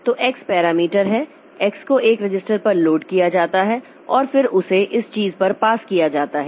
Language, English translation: Hindi, So, the parameter x is loaded onto a register and then that is passed onto this thing